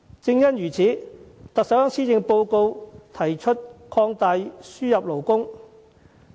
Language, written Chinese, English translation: Cantonese, 有見及此，特首在施政報告提出擴大輸入勞工。, In view of this the Chief Executive proposed in the Policy Address to expand labour importation